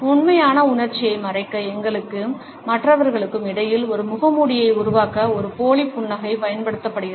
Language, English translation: Tamil, A fake smile similarly is used to create a mask, a barrier between us and other people to hide the true emotion